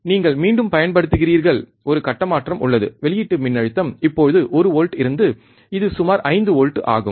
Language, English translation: Tamil, You use again there is a phase shift the output voltage now is from one volts, it is about 5 volts